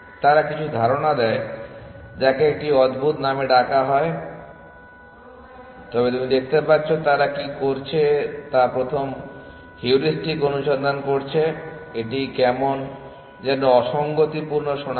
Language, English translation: Bengali, They give some idea some which is called sounds like a curious name, but you can see what they are doing breadth first heuristic search it is it is sound like contradiction in terms